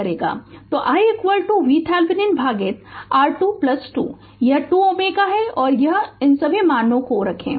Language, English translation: Hindi, So, i is equal to V Thevenin by R Thevenin plus 2 ohm this 2 ohm right and put all these value